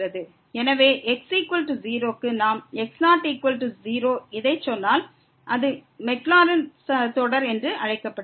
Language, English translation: Tamil, So, for is equal 0 if we said this is equal to 0, then this is called the maclaurins series